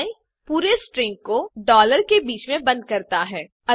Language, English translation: Hindi, The solution is to enclose the whole string in between $